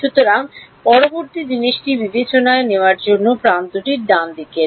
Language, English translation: Bengali, So, the next thing to take into account is the edge the edges right